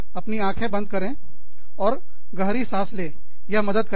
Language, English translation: Hindi, Close your eyes, take a deep breath